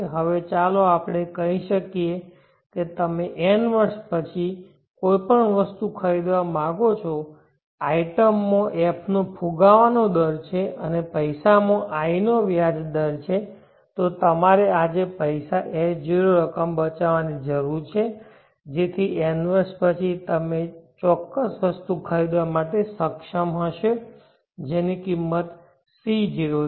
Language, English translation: Gujarati, Now let us say that you want to purchase an item after n years the item has an inflation rate of F and the money has an interest rate of I, then you need to save S0 amount of money today, so that after n years you will be able to purchase this particular item which is today costing C0